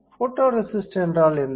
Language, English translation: Tamil, What is photoresist